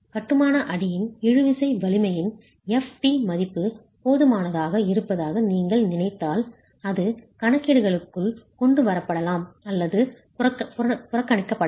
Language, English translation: Tamil, If you think that the value of tensile strength of the masonry, f t, is significant enough, it could be brought into calculations or neglected